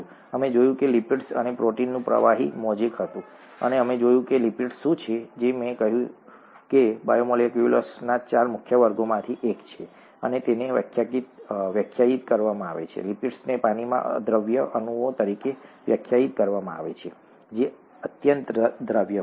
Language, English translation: Gujarati, We saw that it was a fluid mosaic of lipids and proteins and we saw what are lipids, which I said was one of the four major classes of biomolecules and they are defined as, lipids are defined as water insoluble molecules which are very highly soluble in organic solvents such as chloroform